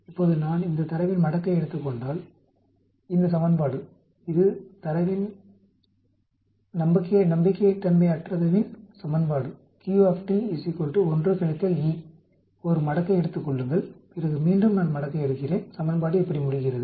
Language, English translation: Tamil, Now if I take logarithm of this data, this equation this is the unreliability equation Q is equal to 1 minus e, take a one logarithm then again I take logarithm, the equation ends up like this